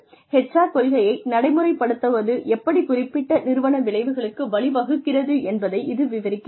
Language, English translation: Tamil, Which described, how HR policy implementation, could lead to certain organizational outcomes